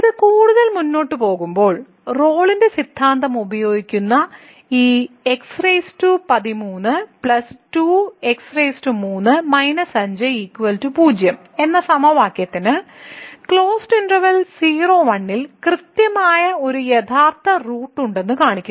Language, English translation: Malayalam, So, moving further this is another example which says the using Rolle’s Theorem show that the equation this x power 13 plus 7 x power 3 minus 5 is equal to 0 has exactly one real root in [0, 1], in the closed interval [0, 1]